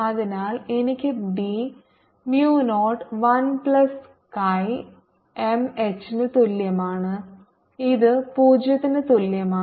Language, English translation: Malayalam, so i get b equal to mu naught one plus chi m h, and this equal to zero